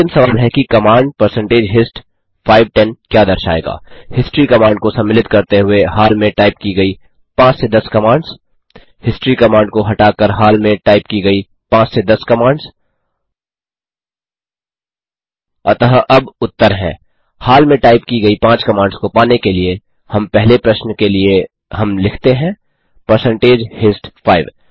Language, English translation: Hindi, The recently typed commands from 5 to 10 inclusive of the history command The recently typed commands from 5 to 10 excluding the history command So now the answers, In order to retrieve the recently typed 5 commands,we have to say percentage hist 5 for the first question